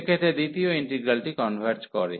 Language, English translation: Bengali, So, in that case with the second integral converges